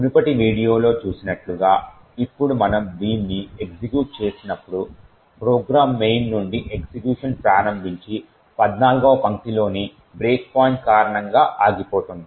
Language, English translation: Telugu, Now when we run it as we have seen in the previous video the program will execute starting from main and stop due to the break point in line number 14